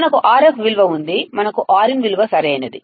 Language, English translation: Telugu, We have Rf value; we have Rin value right